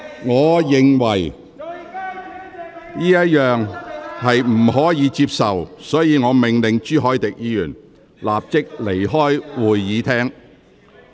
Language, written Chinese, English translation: Cantonese, 我認為這種做法不可接受，因此我命令朱凱廸議員立即離開會議廳。, As I consider such behaviour unacceptable I ordered Mr CHU Hoi - dick to leave the Chamber immediately